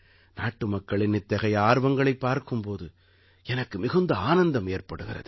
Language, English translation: Tamil, It gives me immense happiness to see this kind of spirit in my countrymen